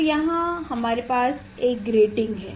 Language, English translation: Hindi, Now, here we have a grating we have a grating